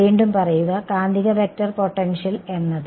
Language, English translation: Malayalam, Say again, the magnetic vector potential is